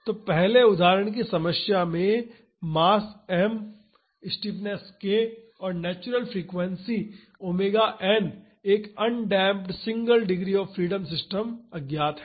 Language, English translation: Hindi, So, in the first example problem the mass m the stiffness k and natural frequency omega n of an undamped single degree of freedom system are unknown